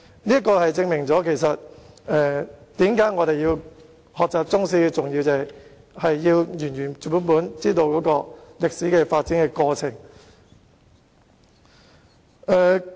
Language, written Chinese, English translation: Cantonese, 這正正說明學習中史的重要性——我們要原原本本知道歷史的發展過程。, It is thus important to learn Chinese history―we must get to know the course of development of history in its entirety